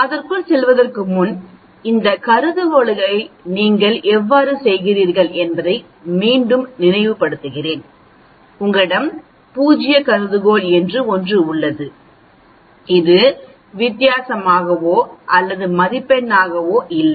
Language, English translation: Tamil, Before going into that, let me recall again how you go about doing this hypothesis, you have something called the null hypothesis, which is no difference or state as score